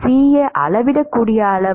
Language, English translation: Tamil, Is CAs a measurable quantity